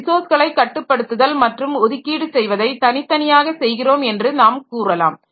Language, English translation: Tamil, So, ultimately, so we can say that the controlling and allocating resources, so they are, we can do it separately